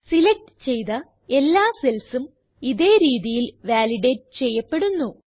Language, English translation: Malayalam, All the selected cells are validated in the same manner